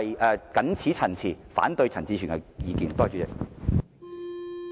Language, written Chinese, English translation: Cantonese, 我謹此陳辭，反對陳志全議員的議案。, With these remarks I oppose Mr CHAN Chi - chuens motion